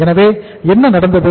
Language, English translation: Tamil, So what happened